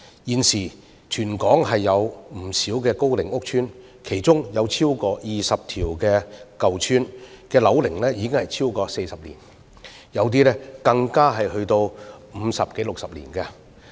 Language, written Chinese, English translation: Cantonese, 現時全港有不少高齡屋邨，其中超過20個舊邨的樓齡已超過40年，有些更達50多年或60年。, There are currently quite a number of aged estates across the territory of which more than 20 old ones are aged over 40 years while some are even aged some 50 to 60 years